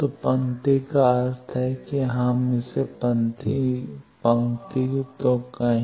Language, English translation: Hindi, So, row means let us say this row